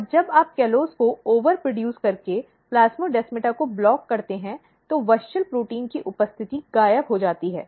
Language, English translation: Hindi, And when you block the plasmodesmata by overproducing callose, the presence of WUSCHEL protein disappears